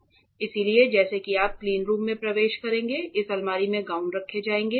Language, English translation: Hindi, So, as you enter cleanroom gowns will be housed in this cupboard